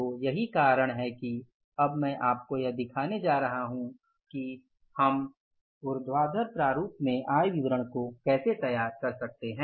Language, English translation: Hindi, So, that is why now I am going to show to you that how we can prepare the income statements in the vertical format